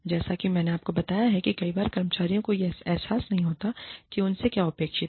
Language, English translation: Hindi, Like i told you, many times, employees do not realize, what is expected of them